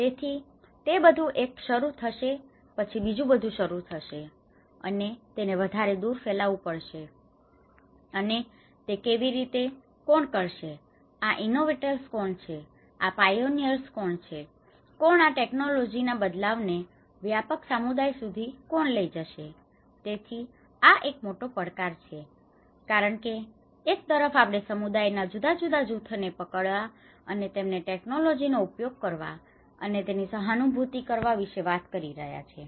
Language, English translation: Gujarati, So, it is; it might start everything will start with one and but it has to diffuse further and how, who will take this, who are these innovators, who are these pioneers, who is going to take this particular transfer of technology to a wider community so, it has; this is one of the challenge because on one side, we are talking about capturing different groups of communities and making them use of this technology and realize them